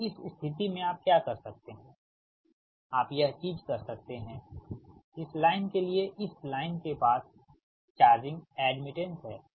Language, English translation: Hindi, so in that case, what you can, what you can, this thing, that for this one, this line has charging admittance